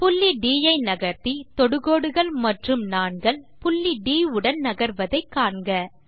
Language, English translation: Tamil, Let us move the point D C that tangents and chords move along with point D